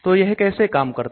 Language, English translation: Hindi, So how does it do